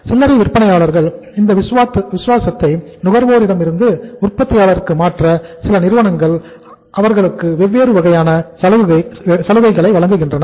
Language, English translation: Tamil, To change this loyalty of the retailers from the consumer to the manufacturer some companies give them different kind of incentives